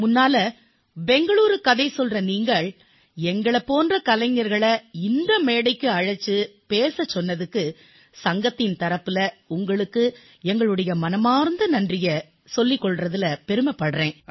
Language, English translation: Tamil, First of all, I would like to thank you on behalf of Bangalore Story Telling Society for having invited and speaking to artists like us on this platform